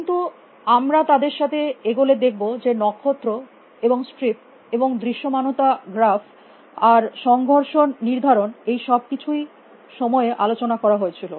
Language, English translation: Bengali, But, as go with them like is a star and strips and visibility graph and collision detection they were all discussed at time put